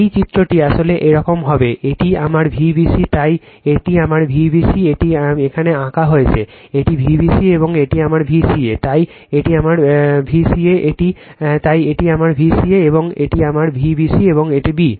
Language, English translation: Bengali, This diagram actually it will be like this, this is my V bc, so this is my V bc this is drawn for here, this is V bc and this is my V ca, so this is my V ca this one, so this is my V ca and this is my V bc and this b